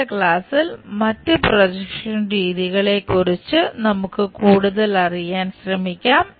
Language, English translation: Malayalam, In the next class, we will learn more about other projection methods